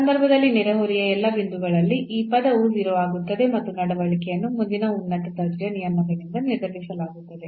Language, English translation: Kannada, So, in that case at all those points in the neighborhood, this term will become 0 and the behavior will be determined from the next higher order terms